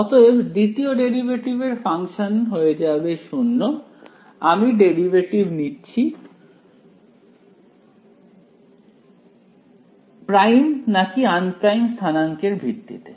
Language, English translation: Bengali, So, second derivative of a function is 0 I am taking the derivative with respect to which coordinates primed or unprimed